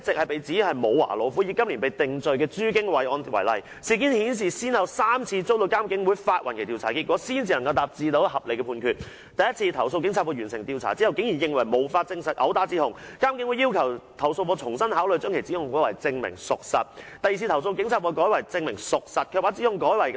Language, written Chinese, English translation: Cantonese, 第一次，投訴警察課完成調查後竟認為無法證實毆打指控，但監警會要求投訴課重新考慮把指控改為"證明屬實"；第二次，投訴課調查後改為"證明屬實"，卻把指控改為"濫用職權"，但監警會拒絕接納；第三次，投訴課雖同意"毆打"指控，但認為證據不足，建議列為"未能完全證明屬實"。, On the first occasion after completing its investigation the Complaints Against Police Office CAPO classified the assault allegation as Unsubstantiated but it was requested by IPCC to reconsider classifying the allegation as Substantiated . On the second occasion after completing its investigation CAPO revised the allegation as abuse of power and classified it as Substantiated but the findings were turned down by IPCC . On the third occasion although CAPO agreed to the assault allegation it considered the evidence inadequate and recommended that the allegation be classified as Not Fully Substantiated